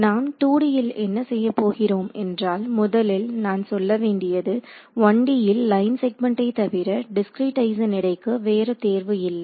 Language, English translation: Tamil, So, what we will do is, in two dimensions, first of all I want to tell you in one dimension we had no choice the weight of discretize is line segments